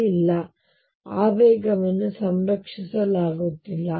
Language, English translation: Kannada, So, there is the momentum is not conserved